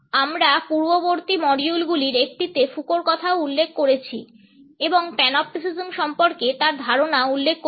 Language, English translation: Bengali, We have also refer to Foucault in one of the previous modules and have referred to his idea of Panopticism